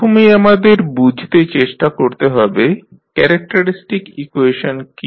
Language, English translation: Bengali, First let us try to understand what is characteristic equations